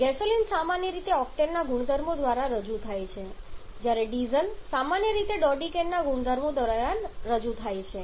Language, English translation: Gujarati, Gasoline is commonly represented by the properties of octane whereas diesel is commonly represented by the properties of dodecane